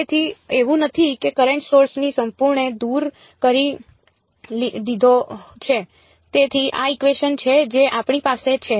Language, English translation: Gujarati, So, it is not that have completely removed the current source, so, this is the equation that we have